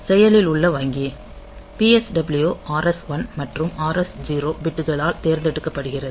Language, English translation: Tamil, the active bank is selected by PSW RS1 and RS0 bits